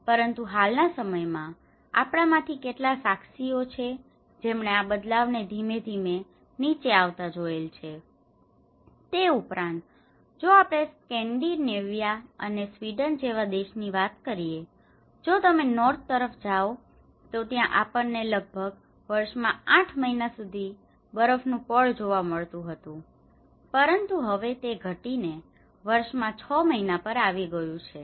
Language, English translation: Gujarati, But in the recent times, how many of us have witnessed that this variance has gradually coming down, in fact, if we talk about a country like Scandinavia and Sweden, if you go up north we have the snow cover for about 8 months in an year but now, it has gradually come to 6 months in a year